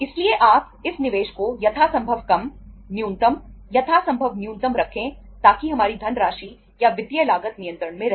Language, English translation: Hindi, So you keep this investment as low as possible, minimum, as minimum as possible so that our cost of funds or the financial cost remains under control